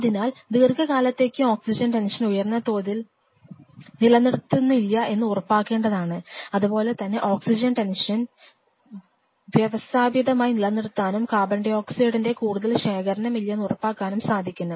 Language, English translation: Malayalam, So, we have to ensure that the oxygen tension is not maintained at a higher level for a prolonged period of time, similarly that brings us that to the fact that how very systematically we can keep the oxygen tension low and ensure there is not much accumulation of CO2